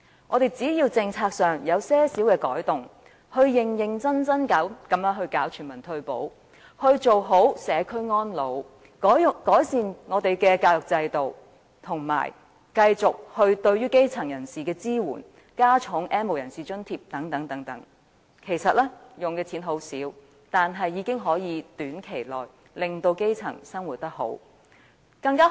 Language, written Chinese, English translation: Cantonese, 政府只要在政策上作出一些改動，認真落實全民退保、做好社區安老、改善教育制度、繼續對於基層人士提供支援，以及增加對 "N 無人士"的津貼等，其實所花的金錢不多，但已經可以在短期內改善基層市民的生活。, If the Government makes certain changes in its policies such as seriously implementing universal retirement protection facilitating ageing in the community improving our education system continuing to provide support to the grass roots and increasing the subsidies provided to the N have - nots the amount required will not be substantial but the livelihood of the grass roots will be improved within a short period of time